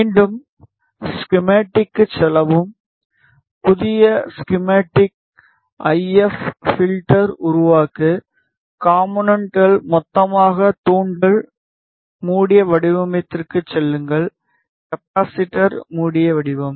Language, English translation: Tamil, Again, go to schematic, new schematic, IF filter, create, elements, lumped, Inductor closed form; Capacitor, closed form